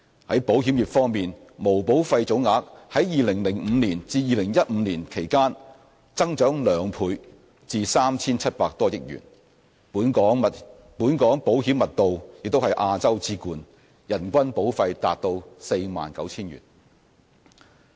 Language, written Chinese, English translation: Cantonese, 在保險業方面，毛保費總額在2005年至2015年期間增長兩倍至 3,700 多億元；本港保險密度也是亞洲之冠，人均保費達 49,000 元。, As for the insurance business the total gross premium saw a two - fold increase to over 370 billion during the period from 2005 to 2015 and the insurance penetration of Hong Kong ranks first in Asia with a per capita premium of 49,000